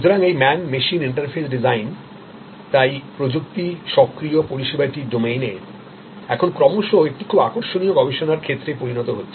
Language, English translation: Bengali, So, this man machine interface design therefore, is now becoming a very interesting a study and research field in the domain of technology enabled service